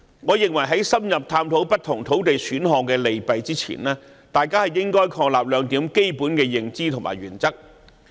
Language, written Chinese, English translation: Cantonese, 我認為，在深入探討不同土地選項的利弊之前，大家應確立兩項基本的認知和原則。, In my view before examining the pros and cons of different land supply options in depth we should affirm two basic premises and principles